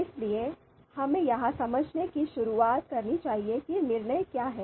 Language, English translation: Hindi, So let’s start with understanding what is decision making